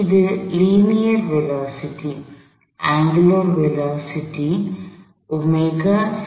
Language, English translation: Tamil, This is the linear velocity